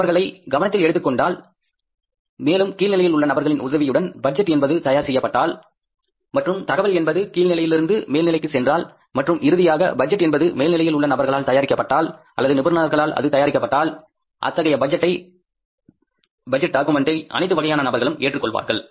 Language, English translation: Tamil, If he is taken into consideration then the budgets prepared with the help of the people at the lowest level and the information flowing from the bottom to top and then finally budget being prepared by the people at the top level or by the experts in the budgetary exercise, I think that is going to increase the acceptability of the budget document